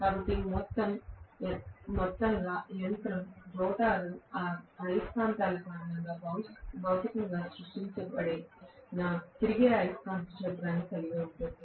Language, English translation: Telugu, So, on the whole the machine will have a revolving magnetic field physically created it because of the rotor magnets